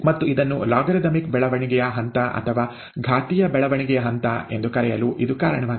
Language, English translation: Kannada, And that is the reason why it is called logarithmic growth phase or the exponential growth phase